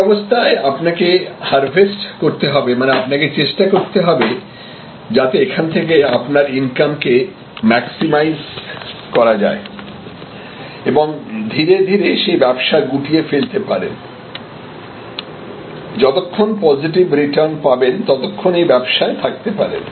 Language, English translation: Bengali, Then, these you may have to, what we call harvest; that means you try to maximize your income from there and try to slowly get out of that business as long as keeps continuing to give you positive return you be in that business